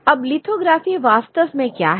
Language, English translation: Hindi, What is lithography really